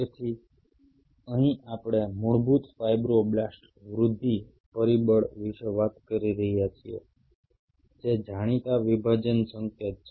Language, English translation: Gujarati, So, here we are talking about basic fibroblase growth factor, which is a known dividing signal